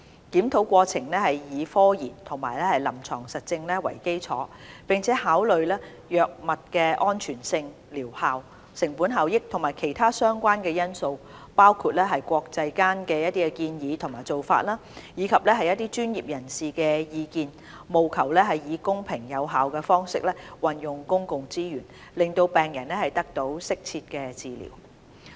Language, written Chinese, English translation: Cantonese, 檢討過程以科研和臨床實證為基礎，並考慮藥物的安全性、療效、成本效益和其他相關因素，包括國際間的建議和做法，以及專業人士的意見，務求以公平有效的方式運用公共資源，讓病人得到適切的治療。, The process is based on scientific and clinical evidence taking into account the safety efficacy and cost - effectiveness of drugs and other relevant considerations including international recommendations and practices as well as professional views so as to ensure equitable and rational use of public resources as well as the provision of optimal care for patients